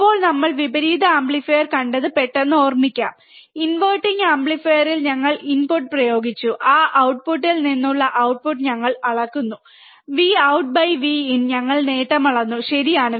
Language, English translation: Malayalam, So, for now, let us quickly recall what we have seen we have seen inverting amplifier, we have applied the input at a inverting amplifier, we measure the output from that output, V out by V in, we have measured the gain, right